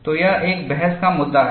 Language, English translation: Hindi, So, this is a debatable point